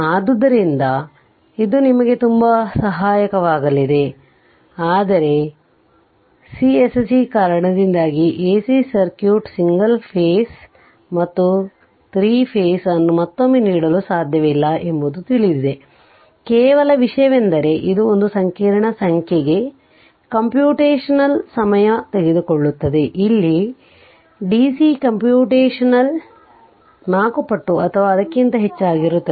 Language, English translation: Kannada, So, it will very helpful for you, but repeating once again that for AC circuit single phase as well as your 3 phase we cannot give so, many examples because of course, everything is known to you now, only thing is that because it complex number it takes time computational time, here than DC computational will be more than may be 4 times, or even more right